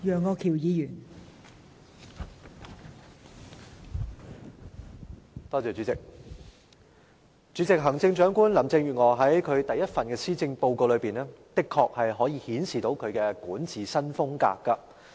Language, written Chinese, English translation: Cantonese, 代理主席，行政長官林鄭月娥在其第一份施政報告的確可以顯示她的管治新風格。, Deputy President Chief Executive Mrs Carrie LAM has indeed shown her new style of governance in her maiden Policy Address